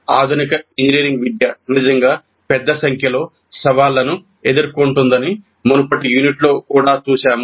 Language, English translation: Telugu, In the early unit also we saw that the modern engineering education is really facing a large number of challenges